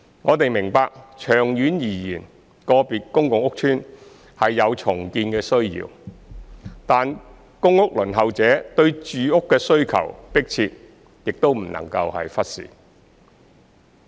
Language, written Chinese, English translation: Cantonese, 我們明白長遠而言，個別公共屋邨是有重建的需要；但公屋輪候者對住屋的需求迫切，亦不容忽視。, We recognize the need to redevelop individual public housing estates in the long term but the urgent housing need of PRH applicants cannot be neglected